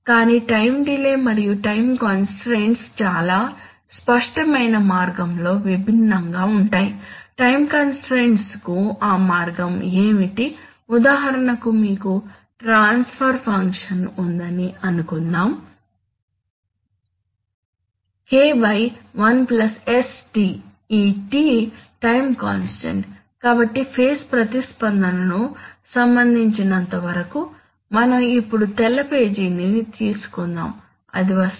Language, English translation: Telugu, But time delays and time constants differ in a very tangible way, what is that way that for time constants, for example suppose you have a transfer function called K by 1 plus sτ, this is at, this τ is the time constant, so, as far as the phase response is concerned let us take a, let us take a white page now, will it come